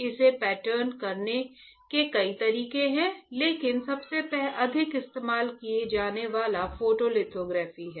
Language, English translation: Hindi, There are several ways of patterning it, but the most commonly used is photolithography alright photolithography